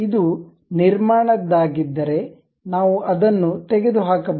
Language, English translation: Kannada, If it is a construction one we can remove that